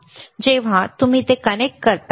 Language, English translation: Marathi, And when you connect it like this, right